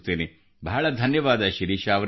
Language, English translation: Kannada, Many many thanks Shirisha ji